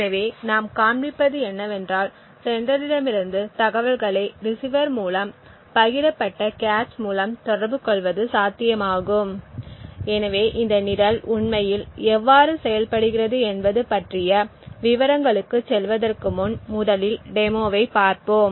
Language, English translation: Tamil, So, what we will show is that it is possible to actually communicate information from the sender through the receiver through the shared cache, so before going into details about how this program is actually working we will just look at the demonstration first